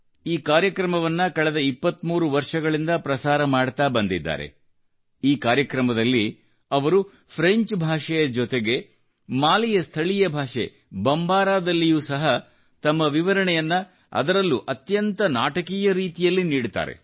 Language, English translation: Kannada, During the course of this program, he renders his commentary in French as well as in Mali's lingua franca known as Bombara, and does it in quite a dramatic fashion